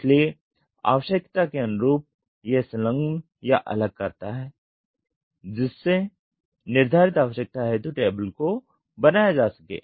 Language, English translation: Hindi, So, depending upon the requirement he attaches or detaches to get the table to the requirement